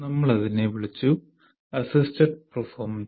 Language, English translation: Malayalam, So we called it 1 minus assisted performance